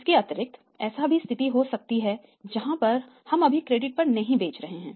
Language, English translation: Hindi, It maybe situation that we are not at all selling on the credit right now